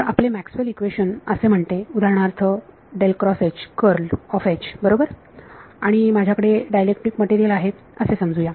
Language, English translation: Marathi, Now, your Maxwell’s equation says for example, curl of H right and supposing I have a dielectric material